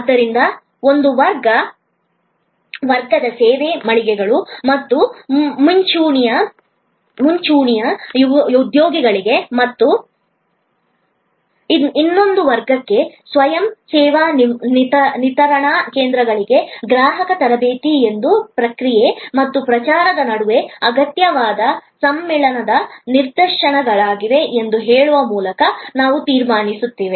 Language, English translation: Kannada, So, we conclude by saying that for one class service outlets and front line employees and for another class the self service delivery points, the customer training both are instances of the fusion necessary between process and promotion